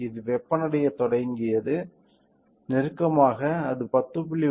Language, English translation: Tamil, It started heating, closely it has come to 10